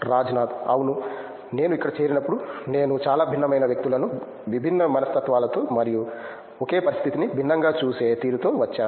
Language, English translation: Telugu, Yeah as I joined here I came to meet so many different people like with different mentalities and the way they look at the same situation differently